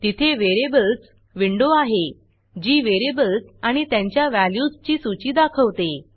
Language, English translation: Marathi, There is a Variables window that shows a list of variables and their values